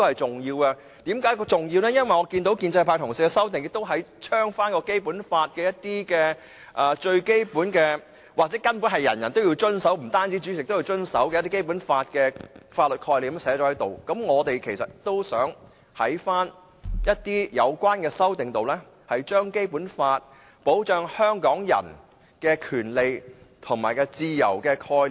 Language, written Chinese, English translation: Cantonese, 這點是重要的，因為建制派同事的修正案，同樣加入了《基本法》中的最基本，又或根本是涵蓋每個人，包括主席的法律概念；而我們其實也想在有關的修正案，加入《基本法》保障香港人的權利和自由的概念。, This is significant as the amendments from the pro - establishment Members have also incorporated the most fundamental legal concepts in the Basic Law which everyone including the President must follow . And we also want to incorporate into our amendments the concepts in the Basic Law concerning the protection of Hong Kong peoples rights and interests as well as freedom